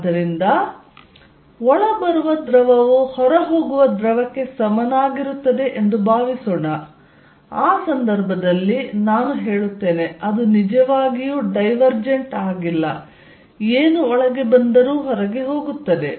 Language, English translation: Kannada, So, suppose fluid coming in is equal to fluid going out in that case I would say it is not really diverging whatever comes in goes out